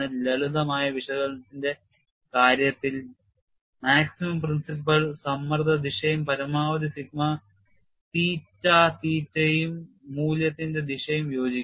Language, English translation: Malayalam, And in the case of simplistic analysis, the maximum principles of directions and the direction of maximum value of sigma theta theta coincides